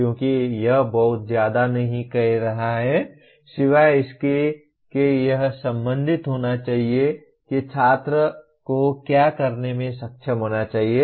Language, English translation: Hindi, Because it is not saying very much except that it should be related to what the student should be able to do